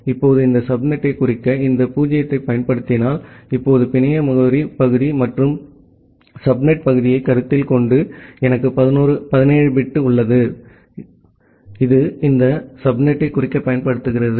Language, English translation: Tamil, Now, if you use this 0 to denote this subnet, now considering the network address part and the subnet part, I have 17 bit, which is being used for denoting this subnet